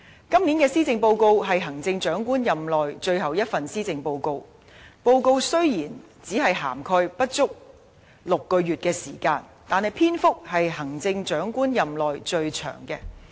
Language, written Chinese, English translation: Cantonese, 今年的施政報告是行政長官任內最後一份施政報告，雖然現屆政府的任期只餘下不足6個月的時間，但篇幅卻是行政長官任內最長的。, The Policy Address this year is the Chief Executives last policy address in his terms of office . While only less than six months is left in the tenure of the current Government this Policy Address is the longest one in the Chief Executives terms of office